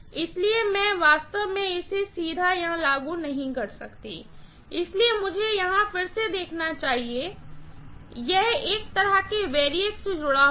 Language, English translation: Hindi, So, I cannot really, directly apply this here, so let me show this here again, this will be connected to a variac like this